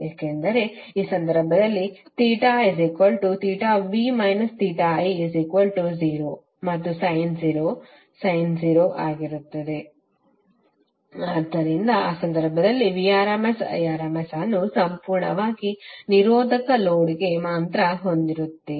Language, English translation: Kannada, Because in this case theta v minus theta i will become 0 and sin 0 will be 0, so in that case you will have Vrms Irms only the term for purely resistive load